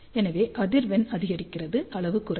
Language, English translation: Tamil, So, frequency increases, size will decrease